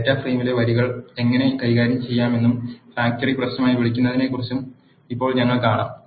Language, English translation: Malayalam, now we will see how to manipulate the rows in the data frame and what is called as a factory issue